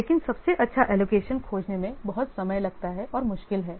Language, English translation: Hindi, But finding the best allocation is very much time consuming and difficult